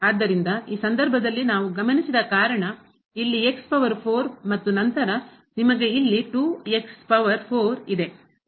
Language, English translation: Kannada, So, in this case what we observed because here power 4 and then, you have 2 power 4 here